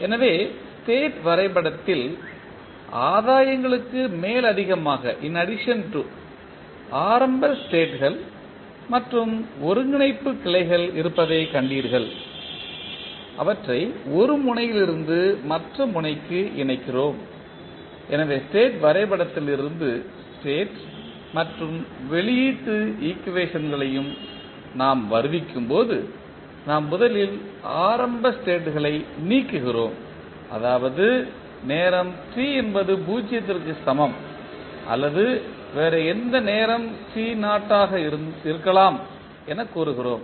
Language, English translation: Tamil, So, in the state diagram you have seen that there are initial states and integrator branches in addition to the gains, which we connect from one node to other node, so when we derive the state and the output equation from the state diagram, we first delete the initial states that is we say like time t is equal to 0 or may be any other time, say t naught what are the initial states